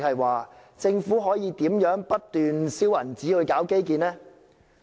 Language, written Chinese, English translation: Cantonese, 換言之，政府怎樣可以不斷燒錢搞基建？, In other words how can the Government continuously spend large sums of money on infrastructure?